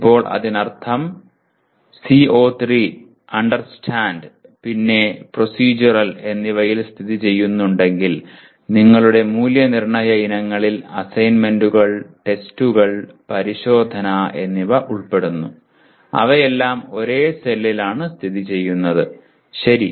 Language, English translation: Malayalam, Now that means if CO3 is located in Understand and Procedural your assessment items that is assessment items include assignments, tests, and examination all of them are located in the same cell, okay